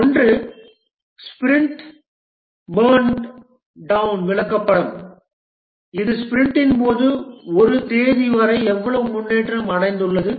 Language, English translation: Tamil, One is the sprint burn down chart which is during a sprint, how much progress has been achieved till a date